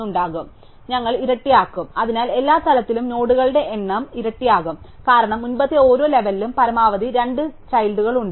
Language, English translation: Malayalam, So, we will double, so at every level the number of nodes doubles, because each of the previous level has two children at most